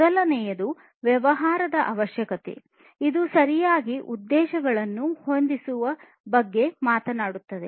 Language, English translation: Kannada, First is the business requirements, which talks about setting the right objectives